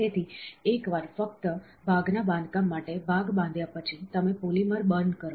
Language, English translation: Gujarati, So, once only for the part construction, after the part is constructed, you burn the polymer